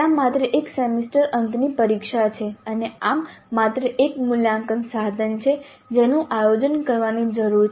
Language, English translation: Gujarati, There is only one semester and examination and thus there is only one assessment instrument that needs to plan